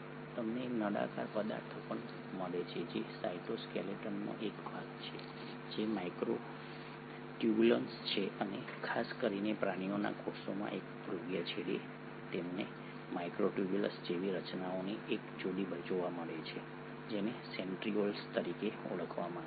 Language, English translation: Gujarati, You also find the cylindrical objects which is the part of the cytoskeleton which is the microtubules and particularly in the animal cells at one polar end you find a pair of these microtubule like structures which are called as the Centrioles